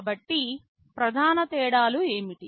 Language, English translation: Telugu, So, what are the main differences